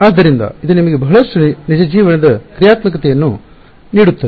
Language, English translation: Kannada, So, it gives you a lot of real life functionality ok